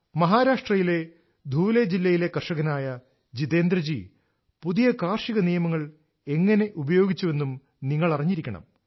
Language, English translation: Malayalam, You too should know how Jitendra Bhoiji, a farmer from Dhule district in Maharashtra made use of the recently promulgated farm laws